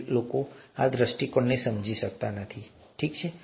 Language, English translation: Gujarati, Many somehow don’t understand this view, that's okay